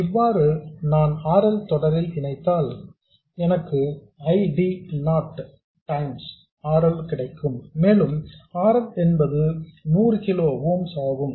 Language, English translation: Tamil, So, if I do connect it in series with RL like this, I will have ID0 times RL and RL is 100 kiloms